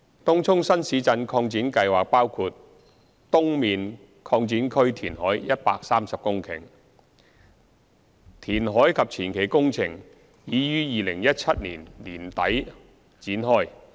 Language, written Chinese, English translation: Cantonese, 東涌新市鎮擴展計劃包括東面擴展區填海130公頃，填海及前期工程已於2017年年底展開。, The TCNTE project includes reclamation of 130 hectares at the Tung Chung East TCE extension . The reclamation and advance works commenced in end - 2017